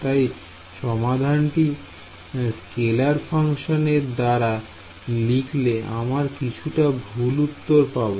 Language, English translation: Bengali, So, by putting the solution in terms of scalar functions you lose a little bit of accuracy ok